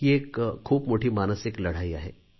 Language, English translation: Marathi, It is a huge psychological battle